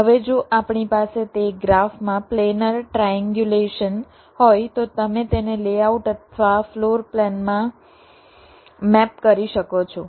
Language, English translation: Gujarati, now, if we have the planner triangulations in that graph, you can map it to a layout or a floor plan